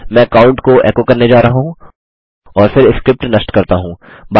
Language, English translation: Hindi, I am going to echo out count and then kill the script